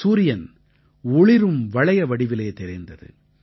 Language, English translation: Tamil, The sun was visible in the form of a shining ring